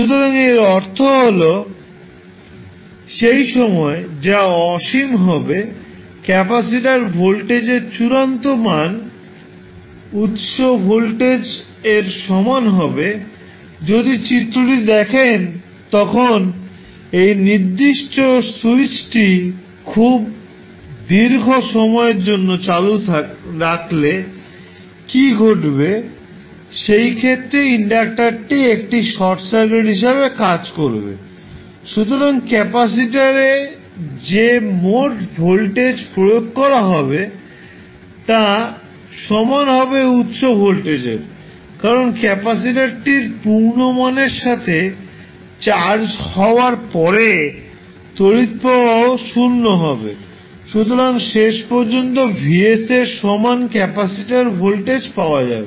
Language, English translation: Bengali, Now to find the force response you need to find out what would be the steady state or final value of voltage t, so that is vt means the time which tends to infinity, the final value of capacitor voltage will be the same voltage that is the source voltage, if you see the figure when you keep on this particular switch on for a very long period what will happen, in that case your inductor will act as a short circuit, so the total voltage would be applied across the capacitor will be equal to the source voltage, because after the capacitor is charged to its full value your current i will also be 0, so you will get finally the capacitor voltage equal to Vs